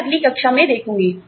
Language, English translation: Hindi, I will see, in the next class